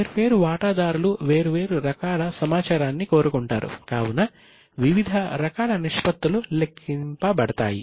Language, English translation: Telugu, There are variety of ratios which are calculated because different stakeholders want different type of information